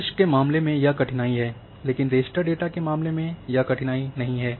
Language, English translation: Hindi, In case of vector this is the difficulty, but in case of raster this is not a difficulty